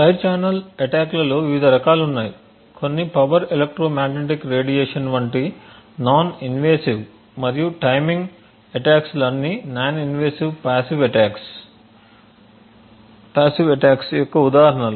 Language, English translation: Telugu, There are different types of side channel attacks some are non invasive like the power electromagnetic radiation and the timing attacks are all examples of non invasive passive attacks